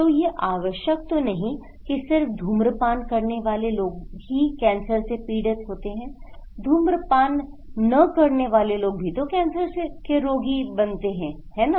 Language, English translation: Hindi, So, it is not necessarily that only those who are smokers they will be affected by cancer but also those who are nonsmoker can also affected by cancer right